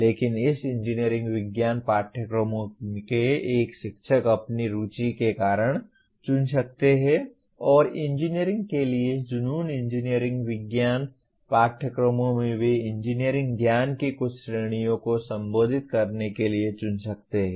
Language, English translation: Hindi, But a teacher of this engineering science courses may choose because of his interest and passion for engineering may choose to address some categories of engineering knowledge even in engineering science courses